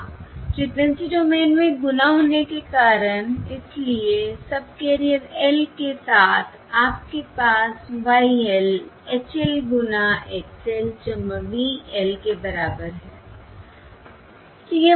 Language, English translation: Hindi, Yeah, because in the frequency domain, because multiplication in the in the frequency domain, therefore across subcarrier L, you have Y L equals H L times X L plus V L